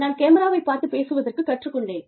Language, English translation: Tamil, I have learned, to look at the camera